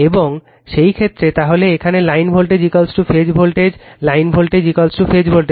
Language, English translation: Bengali, And in that case, your then here line voltage is equal to phase voltage your what you call line voltage is equal to phase voltage